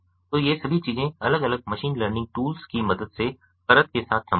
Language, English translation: Hindi, so all these things are possible with the layer, with the help of different machine learning tools